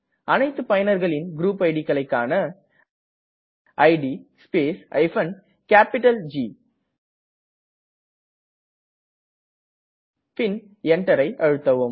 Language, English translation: Tamil, If we want to view all the current users group IDs, type id space G and press Enter